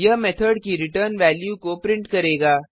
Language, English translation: Hindi, This will print the return value of the method